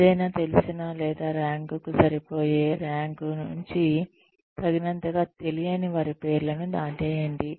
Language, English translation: Telugu, Cross out the names of, any known or well enough to rank, any not known well enough to rank